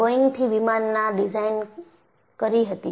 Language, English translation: Gujarati, Boeingwere also designing their planes